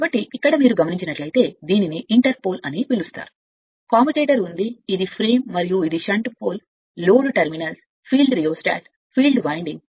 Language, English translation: Telugu, So, here your if you if you look into that that this is your what you call this is your inter pole is there, commutator is there, this is the frame and this is the shunt pole load terminals, field rheostat, field winding right